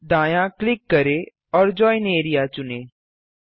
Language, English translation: Hindi, Right click and select Join area